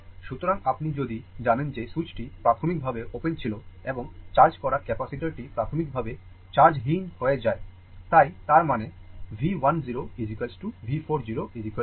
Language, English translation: Bengali, So, if you if that the switch was initially open right and capacitor that your charged capacitors are initially uncharged right, so; that means, V 1 0 is equal to your V 4 0 is equal to 0